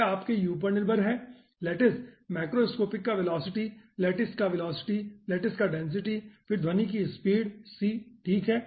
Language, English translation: Hindi, it is dependent on your u, the velocity of the lattice, macroscopic velocity of the lattice, density of the lattice and then sound speed c